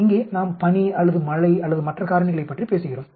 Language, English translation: Tamil, Here we talk about snow or rain or any other factor